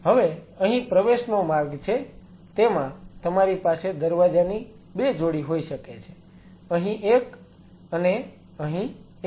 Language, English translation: Gujarati, Now here are the entry port you could have 2 sets of doors one here one here